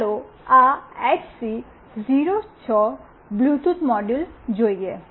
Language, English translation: Gujarati, Let us see this HC 06 Bluetooth module